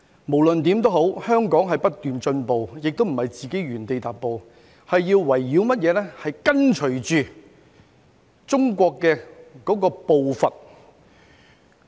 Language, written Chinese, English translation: Cantonese, 無論如何香港都在不斷進步，不是原地踏步，而且要跟隨中國的步伐。, In any case Hong Kong is making progress rather than remaining where we are and has to keep up with the pace of China